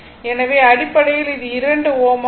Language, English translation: Tamil, So, basically it will be 2 ohm